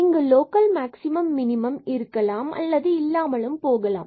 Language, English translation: Tamil, They may be there may be local maximum minimum there may not be a local maximum or minimum